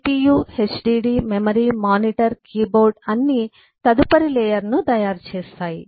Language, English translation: Telugu, in cpu, hdd memory, mmm, monitor, keyboard all make up the next layer